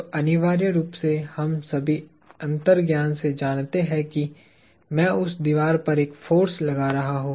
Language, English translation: Hindi, So, essentially, we all know by intuition that, I am exerting a force on that wall